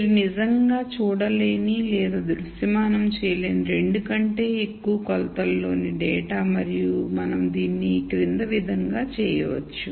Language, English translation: Telugu, Data in much more than 2 dimensions that you cannot actually see or visualize and the way we do this is the following